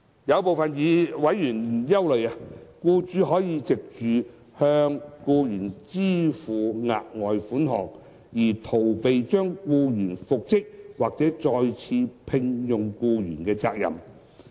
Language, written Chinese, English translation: Cantonese, 有部分委員憂慮，僱主可藉着向僱員支付額外款項，而逃避將僱員復職或再次聘用僱員的責任。, Some members have expressed concern that an employer can evade the obligation to reinstate or re - engage an employee by paying the latter the further sum